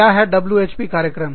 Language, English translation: Hindi, What are WHP programs